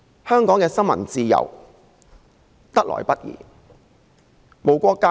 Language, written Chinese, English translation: Cantonese, 香港的新聞自由得來不易。, Freedom of the press in Hong Kong is not easy to come by